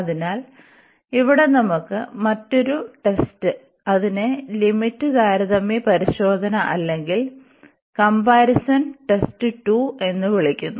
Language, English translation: Malayalam, So, here we have another test which is called the limit comparison test or the comparison test 2, so this is again a useful test here